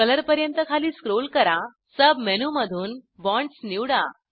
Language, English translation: Marathi, Scroll down to Color, select Bonds from the sub menu